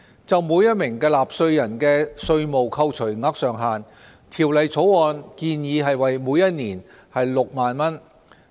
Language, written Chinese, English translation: Cantonese, 就每名納稅人的稅務扣除額上限，《條例草案》建議為每年6萬元。, The Bill suggests that for each taxpayer the maximum tax deductible limit will be 60,000 per year